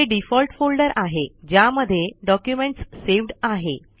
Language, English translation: Marathi, This is the default folder in which the document is saved